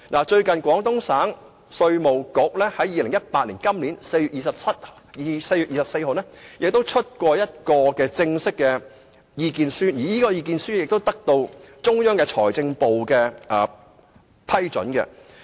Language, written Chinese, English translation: Cantonese, 最近，廣東省稅務局在2018年4月24日發表一份正式的意見書，而這份意見書亦得到中央財政部的批准。, Not long ago on 24 April 2018 the Guangdong Local Taxation Bureau issued its formal position statement on its request . This statement is approved by the Ministry of Finance of the Central Government